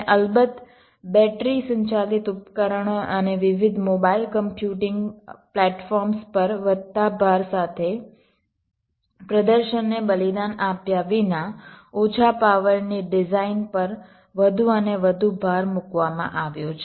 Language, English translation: Gujarati, and, of course, with the ah, with the increasing emphasis on battery operated devices and radius mobile computing platforms, so the greater and greater emphasis have been laid on low power design without sacrificing performance